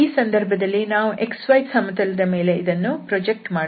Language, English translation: Kannada, So here in this case we will project on the x y plane